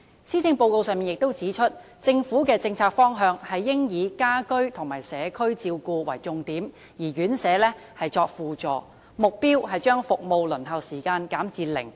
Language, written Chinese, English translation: Cantonese, 施政報告亦指出，政府的政策方向應以家居和社區照顧為重點，而院舍則作為輔助，目標是把服務的輪候時間減至零。, As pointed out by the Policy Address the Governments policy direction should accord priority to the provision of home care and community care supplemented by institutional care with the aim of achieving zero waiting time for such services